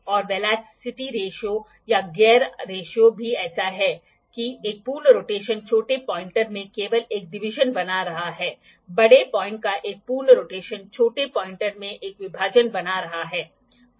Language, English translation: Hindi, And also the velocity ratio or the gear ratio is such that one full rotation is only making one division in the smaller pointer; one full rotation of the bigger point is making one division in the smaller pointer